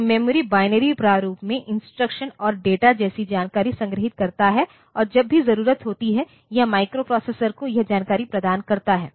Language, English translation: Hindi, So, memory stores information such as instructions and data in binary format and it provides this information to the microprocessor whenever it is needed